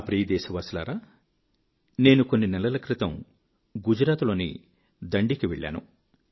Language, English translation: Telugu, My dear countrymen, a few months ago, I was in Dandi